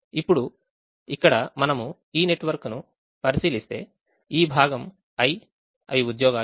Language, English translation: Telugu, now here, if we look at this network, this, this part, is the i, the jobs